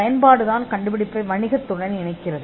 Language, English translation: Tamil, Utility connects the invention to the to business